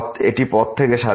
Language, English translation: Bengali, This is independent of the path